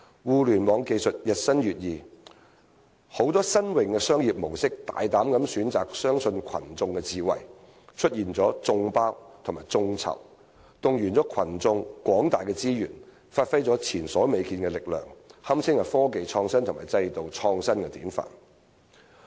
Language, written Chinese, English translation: Cantonese, 互聯網技術日新月異，許多新穎的商業模式大膽地選擇相信群眾智慧，出現了"眾包"與"眾籌"，動員群眾廣大的資源，發揮前所未見的力量，堪稱科技創新與制度創新的典範。, With the rapid advancement of Internet technologies many novel business models have boldly chosen to believe in public wisdom thus giving rise to crowdsourcing and crowdfunding which pool the plentiful resources of the public to unleash unprecedented power . This can be said to be the quintessence of technological innovation and institutional innovation